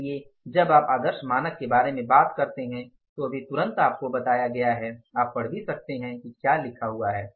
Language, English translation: Hindi, So, when you talk about the ideal standards just I told you but we can read it here also what is written